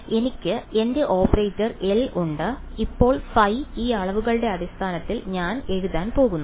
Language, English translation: Malayalam, So, I have my operator L, now phi I am going to write in terms of these guys